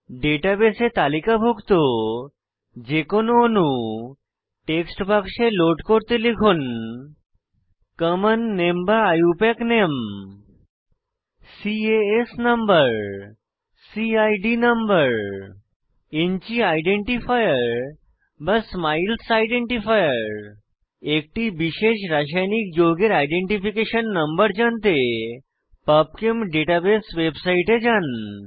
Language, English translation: Bengali, Any molecule listed in the database can be loaded by typing the following in the text box: Common name or IUPAC name CAS number CID number InChi identifier or SMILES identifier Please visit Pubchem database website for information on identification numbers for a particular chemical let us display phenol on screen